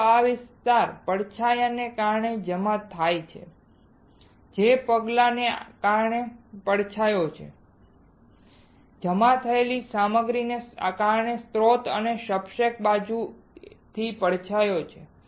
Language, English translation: Gujarati, Only this area gets deposited because of the shadow that is because of the step that is a shadow also because of the material that is deposited there is a shadow from the source right and from the substrate side